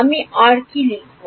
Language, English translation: Bengali, What do I write next